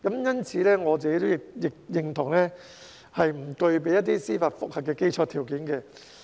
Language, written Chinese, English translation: Cantonese, 因此，我亦認同不具備司法覆核的基礎條件。, Therefore I agree that there is no basis for its decisions to be subject to judicial review